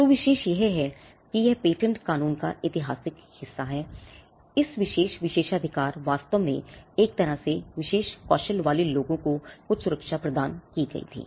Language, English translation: Hindi, So, this is exclusive this is the historical part of patent law, this exclusive privilege actually came in a way in which some protection was granted to people with special skills